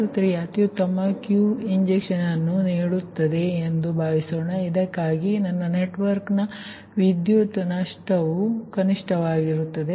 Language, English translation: Kannada, for example, suppose bus three is giving my best, your q injection for which my power loss of the network is minimum and i can maintain this voltage at one per unit